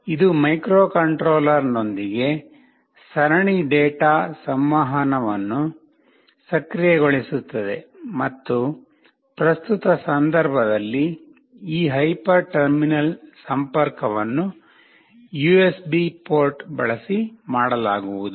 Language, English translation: Kannada, This will enable the serial data communication with the microcontroller and this hyper terminal connection in the present context shall be made using this USB port